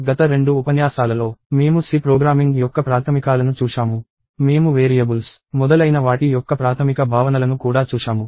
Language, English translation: Telugu, So, in the last two lectures, we saw basics of C programming; and we also saw basic notions of variables and so on